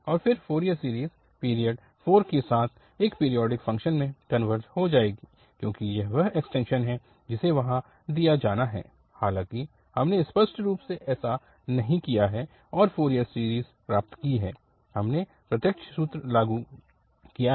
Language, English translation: Hindi, And then the Fourier series will converge to periodic function with period 4 because this is the extension which has to be done there, though we have not explicitly done there and got the Fourier series, we have applied the direct formula